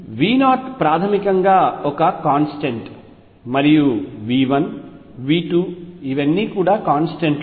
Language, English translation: Telugu, V 0 is basically a constant, and V n V 1 V 2, all these are constants